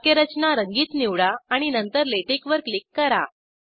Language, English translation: Marathi, Select Syntax Colouring and then click on LaTeX